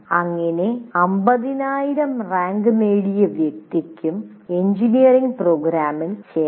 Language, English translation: Malayalam, Every 50,000 rank person also can come and join an engineering program